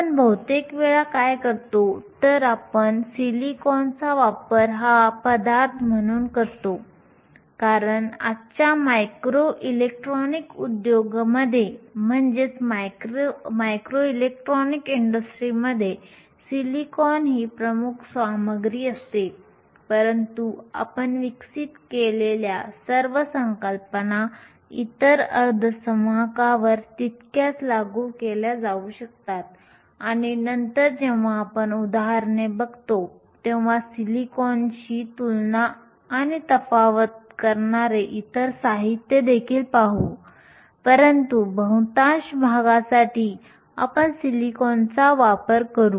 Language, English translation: Marathi, Most of what we do, we will reference using silicon as the material because silicon is the dominant material in today’s micro electronics industry, but all the concepts that we developed can be equally applied to other semi conductors and later when we look at examples, we will also look at other materials to compare and contrast with silicon, but for the most part, we will deal with silicon